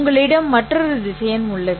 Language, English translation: Tamil, The result is actually a vector